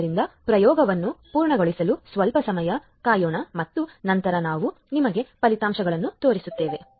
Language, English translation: Kannada, So, just let us waste some time to complete the experiment and then I we will show you the results